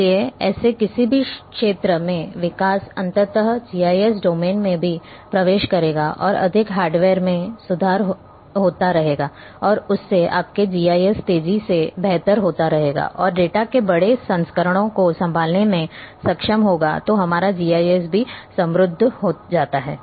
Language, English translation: Hindi, So, the development in any such fields, ultimately will also peculate into the GIS domain and more hardware's are improving and becoming better faster and are capable of handling large volumes of data then our GIS also becomes rich